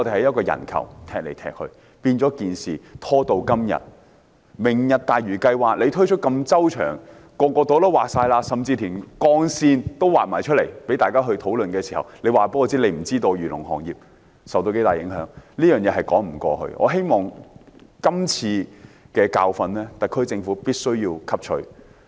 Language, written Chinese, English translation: Cantonese, 政府如此周詳地推出"明日大嶼"計劃，劃定每個部門負責的範疇，甚至劃出界線讓大家討論，卻說不知道漁農行業會受到多大影響，這是說不過去的，我希望特區政府必須汲取今次的教訓。, When the Government unveiled the Lantau Tomorrow plan in such a comprehensive way with the ambit of each department clearly marked and even with the boundary lines of the area of reclamation for us to discuss it is hardly convincing that the Government does not know how serious the agriculture and fisheries industries will be affected . I hope that the SAR Government can learn this lesson